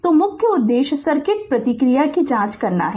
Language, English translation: Hindi, So, main objective is to examine the circuit response